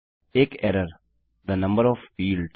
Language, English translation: Hindi, An error the number of fields